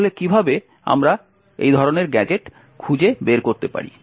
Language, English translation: Bengali, So how do we find such gadgets